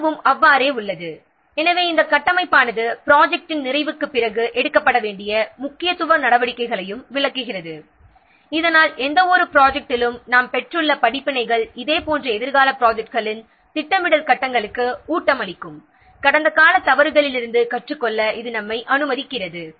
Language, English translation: Tamil, So this framework also illustrates the importance steps that must be taken after completion of the project so that the experience, the lessons that we have gained in any one project can feed into the planning stages of the similar future projects